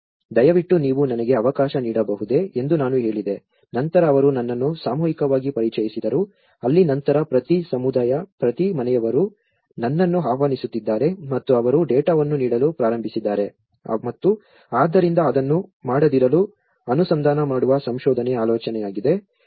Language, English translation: Kannada, I said can you please allow me so then he introduced me in the mass that is where, then onwards every community, every household is inviting me and they have started giving the data and so which means the idea is to approach to not to do a research